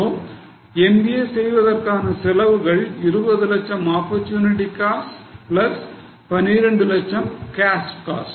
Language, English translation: Tamil, So cost of doing MBA is opportunity cost of 20 lakhs plus cash cost of 12 lakhs